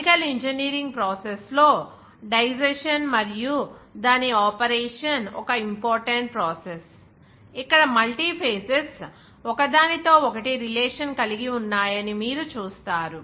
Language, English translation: Telugu, In the chemical engineering process of digestion, the operation is one of the important processes, where you will see that multi phases come in contact with each other